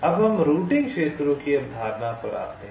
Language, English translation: Hindi, ok, now let us come to the concept of routing regions